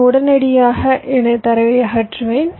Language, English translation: Tamil, i remove my data immediately